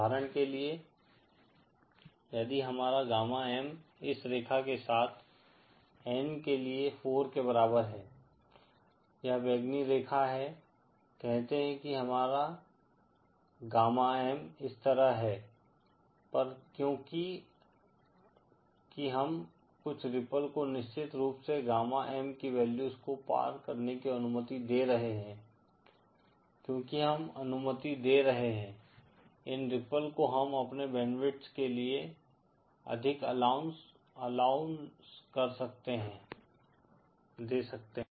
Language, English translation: Hindi, For example say if our gamma M is along this line for N equal to 4, this purple line, say our gamma M is like this, then because we are allowing some ripples never of course crossing the value of gamma M, because we are allowing these ripples we can give more allowance to our band width